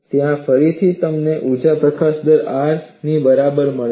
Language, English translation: Gujarati, There again, you find energy release rate equal to R